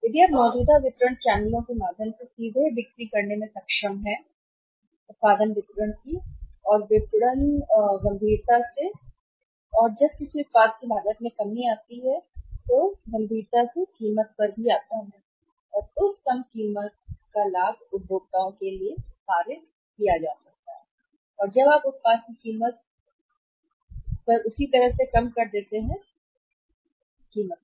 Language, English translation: Hindi, If you are able to sell in directly with the help of the existing distribution channels cost of the production distribution and marketing comes down seriously and when the cost of any product comes on seriously price also comes down and the benefit of that lowered price or lesser price can be passed on to the consumers and when you lowered on the price of the product same kind of the product the lesser price